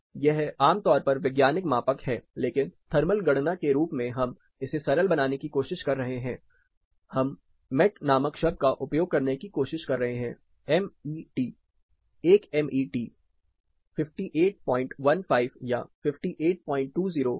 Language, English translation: Hindi, This is typically a scientific measure, but as for thermal calculation we are trying to simplify it we are trying to use a term called Met; M E T, 1 Met is equal to 58